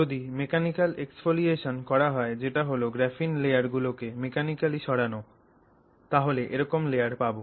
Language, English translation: Bengali, So, technically if you were to do this mechanical exfoliation, mechanical removal of layers of a graphene, then this is the kind of layer you should get